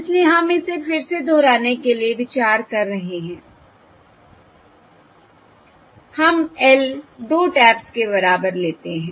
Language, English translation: Hindi, So we are considering again to repeat it with: we are L equal to 2 taps